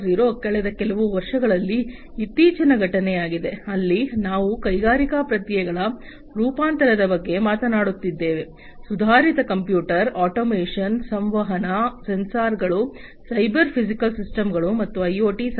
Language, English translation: Kannada, 0 is a recent happening in the last few years, where we are talking about transformation of the industrial processes with the help of advanced computers, automation, communication, sensors, cyber physical systems, and IoT in general